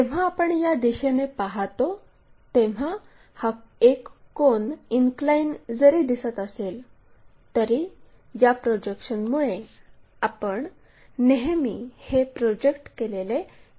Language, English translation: Marathi, When you are looking from this direction though it is a cone which is inclined, but because of this projection we always see everything mapped to this circle